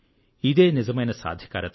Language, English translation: Telugu, This is empowerment